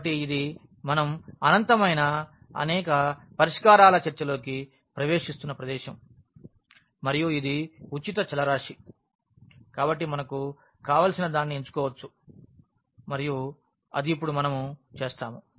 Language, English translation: Telugu, So, this is exactly the point where we are entering into the discussion of the infinitely many solutions and since this is free variable so, we can choose anything we want and that is what we will do now